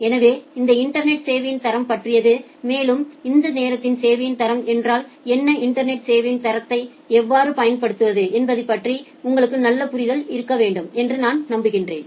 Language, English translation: Tamil, So, this is all about the quality of service in the internet, and I hope that by this time you have a nice idea about what quality of service means and how to apply quality of service over a internet